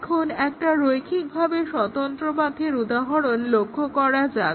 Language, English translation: Bengali, So, that is the definition of the linearly independent paths